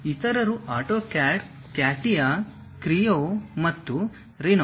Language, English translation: Kannada, The others are AutoCAD, CATIA, Creo and Rhino